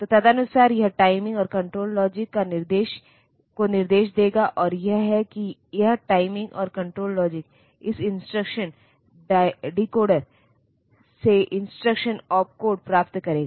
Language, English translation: Hindi, So, accordingly it will instruct the timing and control logic, and it will that is this timing and control logic will get the instruction opcode from this from this instruction decoder